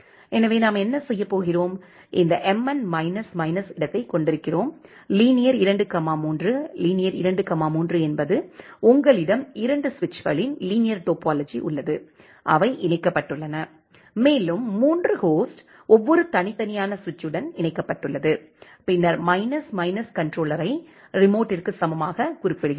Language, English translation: Tamil, So, what we are going to do, we are having this mn minus minus topo; linear 2, 3, linear 2, 3 means you have a linear topology of two switches which are being connected and three host are connected with every individual switches, and then we have specifying minus minus controller equal to remote